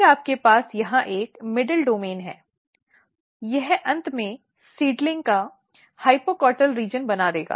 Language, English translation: Hindi, Then you have a middle domain here, this will make eventually the hypocotyl region of the seedling